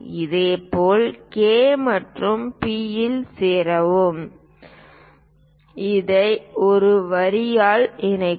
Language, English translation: Tamil, Similarly, join K and P; connect this by a line